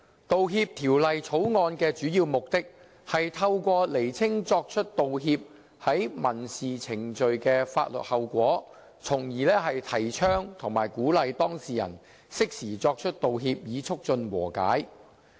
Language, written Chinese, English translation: Cantonese, 《道歉條例草案》的主要目的，是透過釐清作出道歉在民事程序的法律後果，從而提倡和鼓勵當事人適時作出道歉，以促進和解。, The Apology Bill the Bill mainly seeks to clarify the legal consequences of making an apology in civil proceedings so as to champion and encourage the making of timely apologies among parties to civil disputes and in turn promote the reaching of settlement